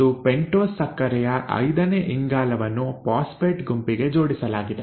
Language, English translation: Kannada, And the fifth carbon of the pentose sugar in turn is attached to the phosphate group